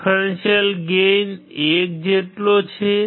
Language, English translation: Gujarati, Differential gain is equal to 1